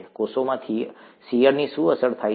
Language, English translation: Gujarati, What gets affected by shear in the cells